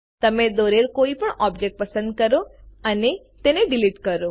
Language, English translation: Gujarati, Select any object you have drawn and delete it